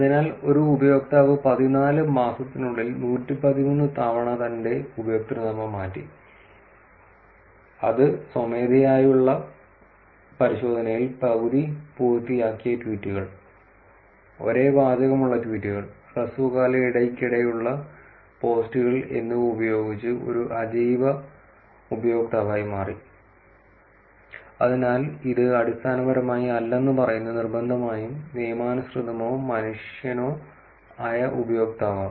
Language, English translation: Malayalam, So, one user changed her username 113 times in fourteen months which on manual inspection turned out to be an inorganic user with half completed tweets, tweets with the same text, and frequent posts in short duration So, it is essentially saying that it is not necessarily legitimate or human being user